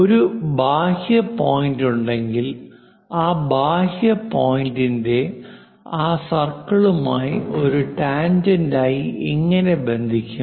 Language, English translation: Malayalam, And also if an exterior point is there, connecting that exterior point as a tangent to that circle, how to do that